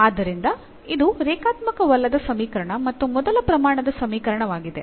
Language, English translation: Kannada, So, this is a non linear equation and its a first degree, but it is a non linear